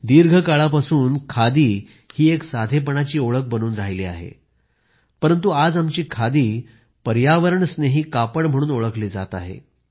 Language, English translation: Marathi, Khadi has remained a symbol of simplicity over a long period of time but now our khadi is getting known as an eco friendly fabric